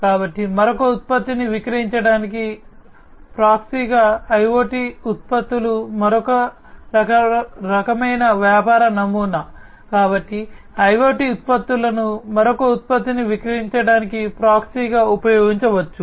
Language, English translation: Telugu, So, IoT products as a proxy to sell another product is another kind of business model; so IoT products can be used as a proxy to sell another product